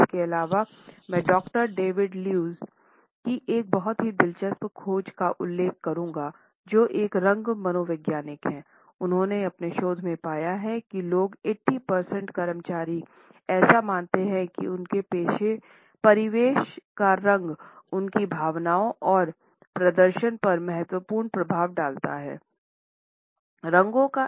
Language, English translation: Hindi, Also I would refer to a very interesting finding of Doctor David Lewis, a color psychologist who has found in his research that about 80 percent employees believe that the color of their surroundings has a significant impact on their emotions and performance